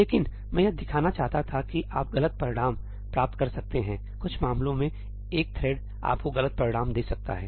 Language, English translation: Hindi, But all I wanted to show was that you can get incorrect results , in some cases one thread may give you wrong results